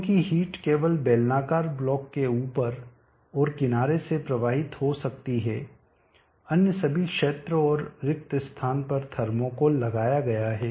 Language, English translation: Hindi, Because the heat can flow only from the top and sides of the cylindrical block all other regions and the spaces are enclosed with the thermo coal